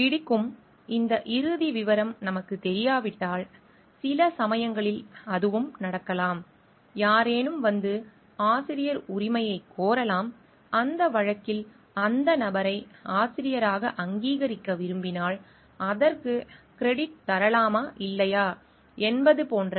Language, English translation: Tamil, Like; if we don t know this final details then sometimes it may so, happen, somebody may come and claim for the authorship and we do not know in that case what is appropriate action to be taken should we like recognize the person as the author and give credit for it or not